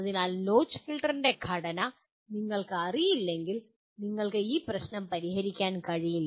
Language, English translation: Malayalam, So if you do not know the structure of the notch filter, obviously you cannot solve this problem